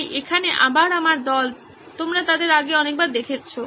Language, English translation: Bengali, So here is my team again, you met them before many, many times